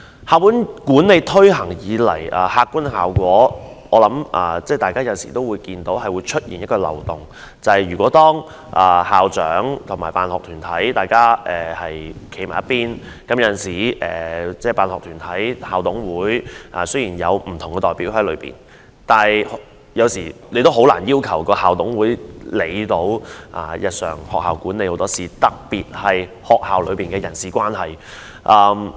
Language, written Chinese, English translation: Cantonese, 校本管理制度自推行以來，其客觀效果是出現漏洞，就是當校長及辦學團體站在同一陣線，辦學團體雖然有代表在校董會內，但很難要求校董會能夠處理學校很多日常事務，特別是校內的人事關係。, Since the implementation of school - based management we have seen the objective effect of a loophole . When school principals and school sponsoring bodies SSBs form an alliance even though SSBs have their representatives in the Incorporated Management Committees IMCs it is very hard to ask IMCs to handle the large number of businesses in the schools every day especially in respect of matters concerning the personnel relationships in schools